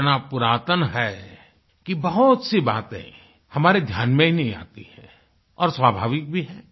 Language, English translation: Hindi, It is so ancient… that so many things just slip our mind…and that's quite natural